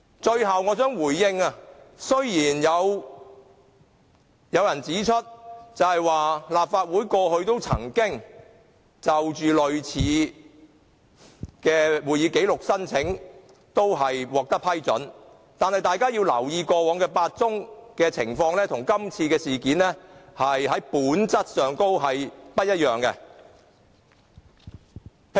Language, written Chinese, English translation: Cantonese, 最後，我想回應，雖然有人指出，過去提出索取類似會議紀錄的申請也獲得批准，但大家要留意，過去8宗情況跟今次事件在本質上不一樣。, Finally I would like to respond to an assertion that approvals were granted to all other similar applications for copies of proceedings or minutes in the past . We have to note that the nature of the incident in question is different from that of the previous eight incidents